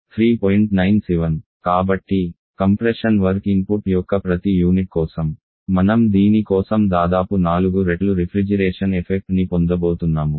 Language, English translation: Telugu, So, for every unit of compression work input you are going to get about 4 times refrigeration effect for this